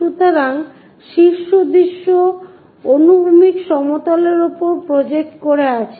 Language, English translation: Bengali, So, top view projected on to horizontal plane